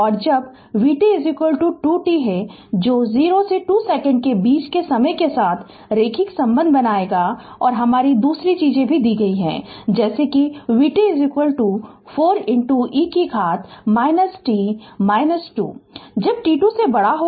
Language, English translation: Hindi, And when vt is equal to 2 t that will linear relationship with time in between 0 and 2 second right and your another thing is given that vt is equal to 4 into e to the power minus t minus 2, when t greater than 2